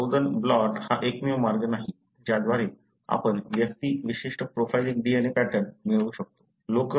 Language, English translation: Marathi, But, Southern blot is not the only way by which you will be able to get individual specific profiling DNA pattern